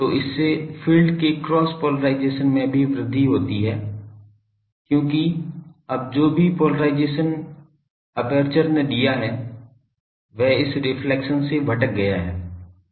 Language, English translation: Hindi, So, that also increases the cross polarisation of the fields because, whatever polarisation the aperture has given now that gets disoriented by this reflection